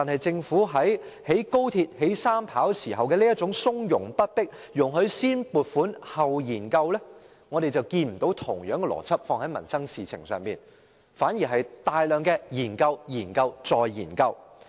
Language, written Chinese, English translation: Cantonese, 政府在興建高鐵、機場第三條跑道時從容不迫，容許先撥款後研究，但卻沒有將同樣的邏輯放在民生事情上，反而進行大量研究、研究、再研究。, Speaking of constructing the Express Rail Link and a third airport runway the Government allowed funding allocation before conducting studies in a somewhat relaxed and unhurried manner . But in the case of livelihood issues it has to conduct large numbers of studies one after another instead of showing the same attitude